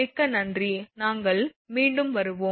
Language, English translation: Tamil, Thank you very much again we will be back again